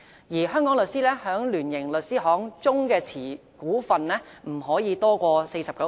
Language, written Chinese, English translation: Cantonese, 而香港律師在聯營律師行中所持股份，不得多於 49%。, Moreover a Hong Kong law firm can hold no more than 49 % of the shares of this joint - venture law firm